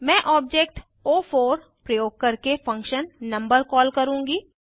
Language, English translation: Hindi, I will call the function number using the object o4